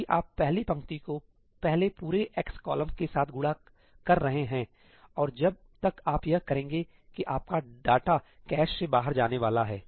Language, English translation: Hindi, If you are first multiplying the first row with the entire x column, and by the time you do that your data is going to go out of the cache right